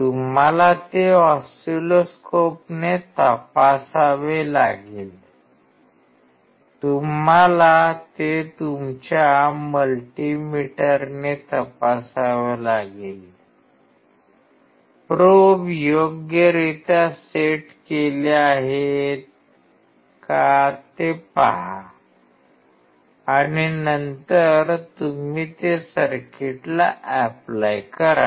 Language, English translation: Marathi, You have to check it with oscilloscope; you have to check it with your multi meter; see whether the probes are properly set and then you apply to the circuit